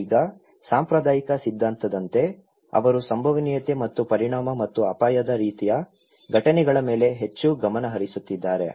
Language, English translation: Kannada, Now, as the conventional theory, they are focusing more on the probability and consequence and hazard kind of event as disaster